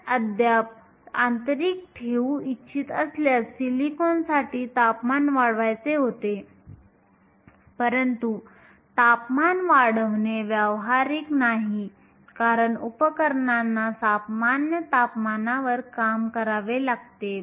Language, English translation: Marathi, If you still want to keep intrinsic, silicon was to increase the temperature, but increasing the temperature is not practical because the devices have to work at room temperature